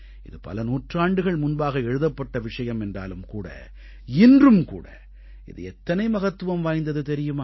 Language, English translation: Tamil, These lines were written centuries ago, but even today, carry great relevance